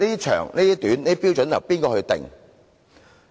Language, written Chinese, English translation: Cantonese, 長短的標準由誰釐定？, Who sets the standard for the length of debate?